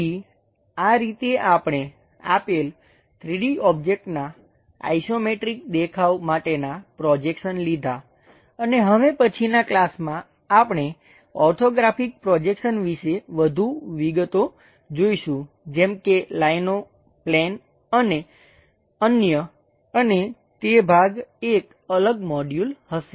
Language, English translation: Gujarati, So, this is the way, we guess the projections for given 3D objects isometric views and in next class onwards, we will look at more details about Orthographic Projections like lines, planes and other things and that is part will be a separate module